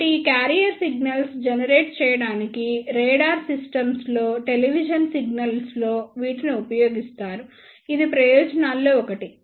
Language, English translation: Telugu, So, they are used in television signals in radar systems to generate the career signals, this is one of the advantage